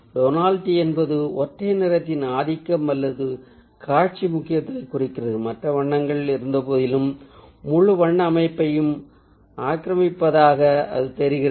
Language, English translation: Tamil, tonality refers to a dominance of a single color or the visual importance of a hue that seems to pervade the whole color structure despite the presence of other colors